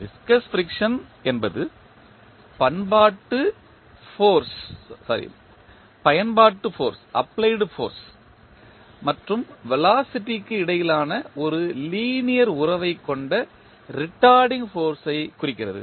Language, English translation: Tamil, Viscous friction represents retarding force that is a linear relationship between the applied force and velocity